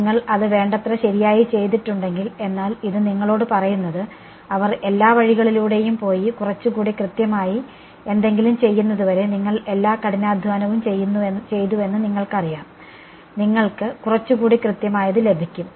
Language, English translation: Malayalam, If you have done that good enough right, but this is telling you that you know you have done all the hard work getting till they just go all the way and do something a little bit more accurate, you will get this